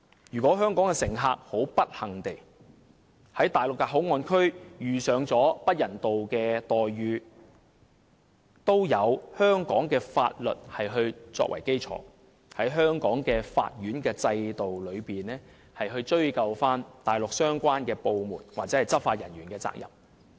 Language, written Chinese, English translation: Cantonese, "若香港乘客不幸地在內地口岸區遇上不人道待遇，也有香港法律作為基礎，在香港的法院制度內，追究內地相關部門或執法人員的責任。, If Hong Kong passengers unfortunately encounter inhuman treatment in MPA the laws of Hong Kong can be used as the basis to ascertain the responsibility of the Mainland agencies or law enforcement officers concerned within Hong Kongs judicial system